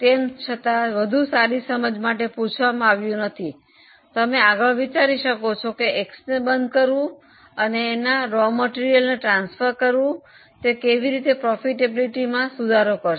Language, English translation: Gujarati, Though it is not asked just for better understanding, you may further comment that closure of X and transferring that raw material to Y will further improve the profitability